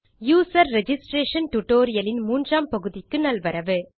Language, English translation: Tamil, Welcome to the 3rd part of the User Registration tutorial